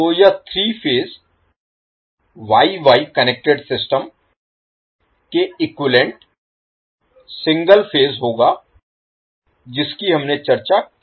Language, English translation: Hindi, So this will be single phase equivalent of the three phase Y Y connected system which we discussed